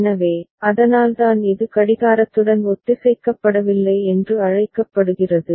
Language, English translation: Tamil, So, that is why it is called not synchronized with the clock right